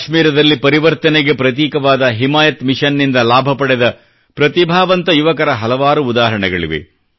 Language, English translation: Kannada, There are many examples of talented youth who have become symbols of change in Jammu and Kashmir, benefiting from 'Himayat Mission'